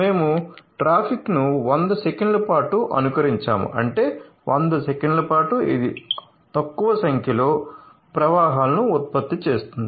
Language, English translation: Telugu, So, we have simulated emulated the traffic for 100 seconds so; that means, for 100 seconds it will generate few number flows